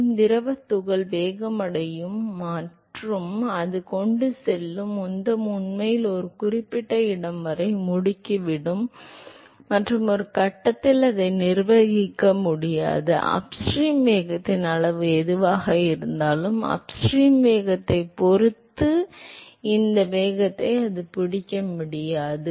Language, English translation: Tamil, So, what happens is that the fluid particle will accelerate and the momentum that it carries will actually accelerate up to a certain location and at some point it is not able to manage, depending upon the upstream velocity whatever is the magnitude of the upstream velocity, it is not able to catch up with this speed that it has to